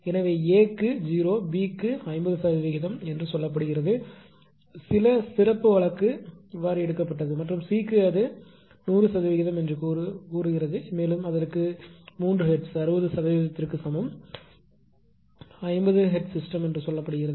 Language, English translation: Tamil, So, for A it is 0, for B it is say 50 percent something some special case is taken and for C say it is 100 percent, and it is given 3 hertz is equal to 60 percent is a 50 hertz system say